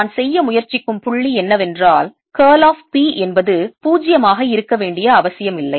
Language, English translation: Tamil, you will immediately see that curl of p is not zero